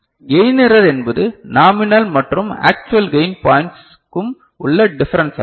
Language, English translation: Tamil, The gain error is the difference between the nominal and actual gain points